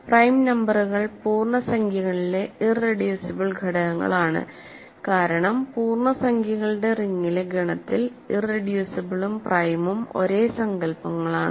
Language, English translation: Malayalam, Prime numbers are irreducible elements in the integers, because in the set of in the ring of integers irreducible and prime are really the same notions